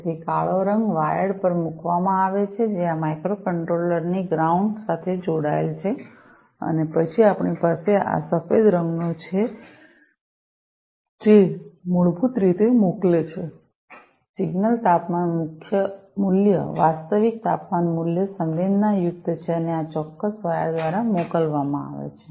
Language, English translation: Gujarati, So, the black color wired is put on the is connected to the ground of this microcontroller, right and then we have this white colored one which basically sends the signal the temperature value the actual temperature value is sensed and is sent through this particular wire, right